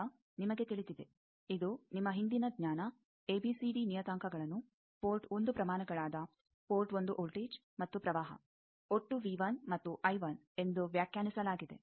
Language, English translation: Kannada, Now, you know that this is your earlier knowledge that ABCD parameters are defined as the port 1 quantities port 1 voltage and current V 1 and I 1 total that is related to V 2 and I 2